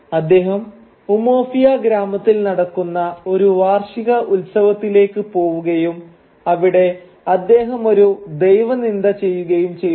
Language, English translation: Malayalam, He goes to an annual fest that is going on in Umuofia village and there he performs an act of sacrilege